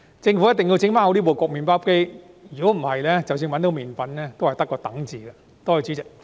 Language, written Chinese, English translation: Cantonese, 政府一定要把麵包機修好；否則，即使找到麵粉，也只得一個"等"字。, The Government must fix the bread maker; otherwise even if flour is found nothing can be done but wait